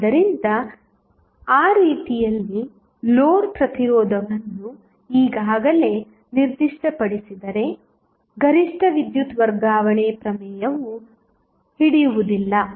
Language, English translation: Kannada, So, in that way, if the load resistance is already specified, the maximum power transfer theorem will not hold